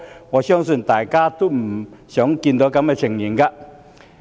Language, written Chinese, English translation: Cantonese, 我相信大家皆不想看到這情況。, I believe this is something people will hate to see